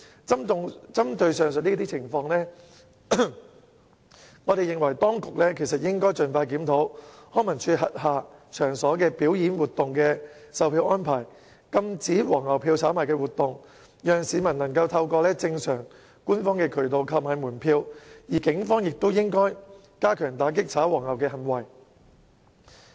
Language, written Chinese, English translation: Cantonese, 針對上述情況，我認為當局應該盡快檢討康文署轄下場所表演活動的售票安排，禁止"黃牛票"的炒賣活動，讓市民能夠透過正常官方渠道購買門票，而警方亦應該加強打擊"炒黃牛"行為。, In respect of the above mentioned situation I think the authorities should as soon as possible review the ticket selling arrangements for performance activities at the venues under LCSD and curb the scalping activities so that the public can purchase tickets through the normal and official channels . The Police should also step up its measures in combating scalping activities